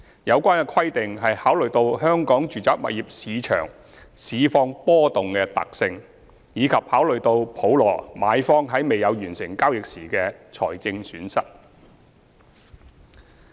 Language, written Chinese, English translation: Cantonese, 有關規定考慮到香港住宅物業市場市況波動的特性，以及普羅買方在未有完成交易時的財政損失。, Such requirements are laid down in the light of the volatility of the residential property market in Hong Kong as well as the financial loss which a purchaser in the mass market will suffer for not completing a transaction